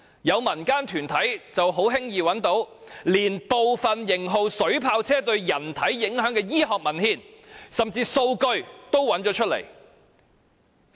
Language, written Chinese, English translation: Cantonese, 有民間團體已輕易找到部分型號水炮車對人體影響的醫學文獻，甚至連數據也有。, Some organizations of the general public have easily found the impacts of certain models of water cannon vehicles on human body in some medical literature in which data are provided as well